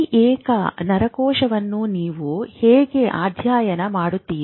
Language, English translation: Kannada, How do you study this single neuron